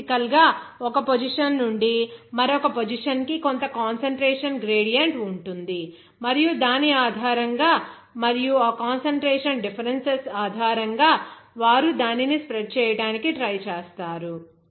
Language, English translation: Telugu, This is basically there will be some concentration gradient from one position to another position and based on which you will see that they will try to you know that, based on that concentration differences, they will try to spread it out